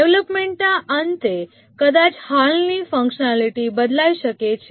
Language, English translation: Gujarati, At the end of development, maybe the existing functionalities might have changed